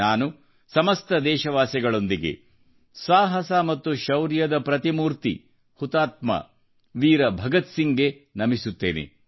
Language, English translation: Kannada, I join my fellow countrymen in bowing before the paragon of courage and bravery, Shaheed Veer Bhagat Singh